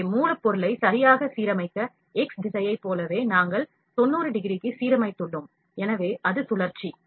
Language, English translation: Tamil, So, to properly align the job, like in x direction, we have aligned the to 90 degrees, so it is rotation